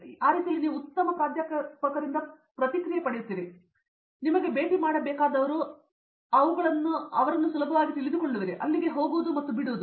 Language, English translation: Kannada, That way you can get better you know feedback from the professor what who you need to meet and you will get to know them easily than, just going there and dropping say, hi